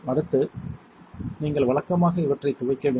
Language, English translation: Tamil, Next you usually rinse these